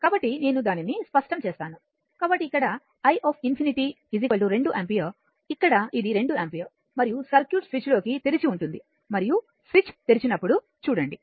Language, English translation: Telugu, So, in the here you will see that your i infinity your is equal to your 2 ampere here it is 2 ampere and if you look into the circuit if you when switch is open and when switch is open